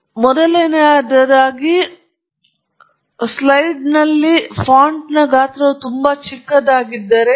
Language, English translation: Kannada, So, first of all, when you put everything on a slide, the size of the font becomes very small